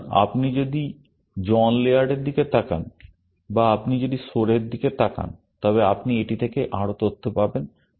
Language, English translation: Bengali, So, if you look up John Laird or if you look up Soar, you would get more information out of it